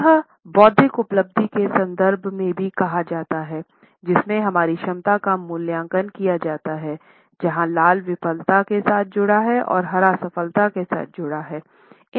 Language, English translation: Hindi, It is said also about the intellectual achievement context in which our competence is evaluated, where red is associated with failure and green is associated with success